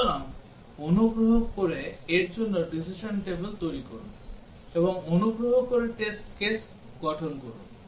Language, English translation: Bengali, So, please form the decision table for this, and please form the test cases